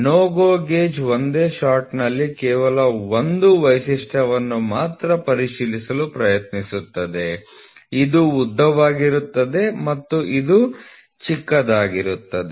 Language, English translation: Kannada, So, GO gauge will try to check multiple features in one shot, NO GO gauge will check only one feature in one shot this will be long and this will be short